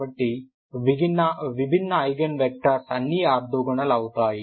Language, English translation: Telugu, So distinct Eigen vectors are all orthogonal, what you mean by orthogonal